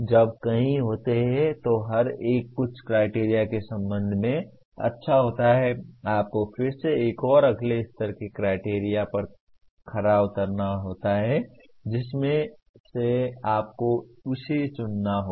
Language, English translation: Hindi, When there are multiple, each one is good with respect to some criteria, you have to again come with another next level criterion from which you have to select this